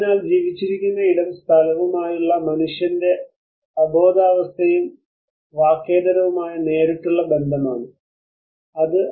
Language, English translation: Malayalam, So the lived space which is an unconscious and nonverbal direct relations of humans to space which is also a form of representational space